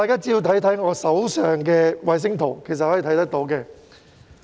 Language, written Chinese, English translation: Cantonese, 請看看我手上的衞星圖。, Please look at the satellite pictures in my hands